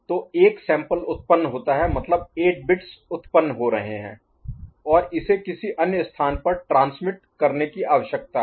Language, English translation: Hindi, So, that is generated one sample means 8 bits are getting generated and it needs to be transmitted to some other place